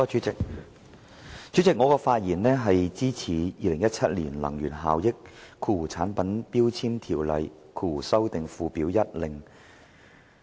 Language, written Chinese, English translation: Cantonese, 主席，我發言支持《2017年能源效益條例令》。, President I speak in support of the Energy Efficiency Ordinance Order